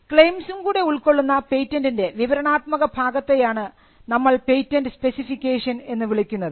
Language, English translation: Malayalam, So, the descriptive part along with the claims is what we call or refer to as the patent specification